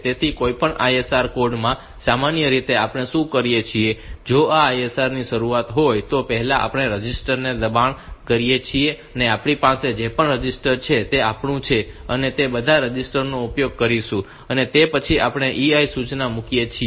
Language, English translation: Gujarati, So, any ISR code, normally what we do is that if this is the beginning of the ISR then first we push the registers that we have whatever register this is our will be using all those registers are pushed and after that we put the EI instruction